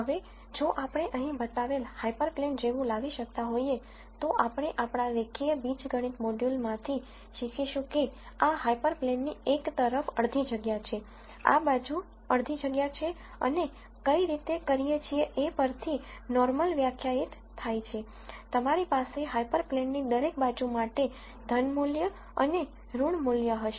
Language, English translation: Gujarati, Now, if we were able to come up with hyper plane such as the one that is shown here, we learn from our linear algebra module that to one side of this hyper plane is half space, this side is a half space and, depending on the way the normal is defined, you would have positive value and a negative value to each side of the hyper plane